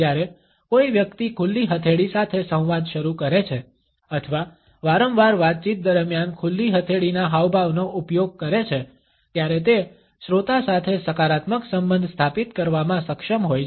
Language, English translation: Gujarati, When a person initiates a dialogue with open palm or uses the open palm gesture during the conversations frequently, he or she is able to establish a positive rapport with the listener